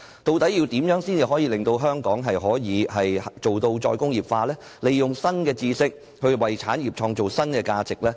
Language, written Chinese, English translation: Cantonese, 究竟要怎樣做才可以令香港達致"再工業化"，利用新知識為產業創造新價值？, What can we do so that Hong Kong can achieve re - industrialization and use new knowledge to create new values for industries?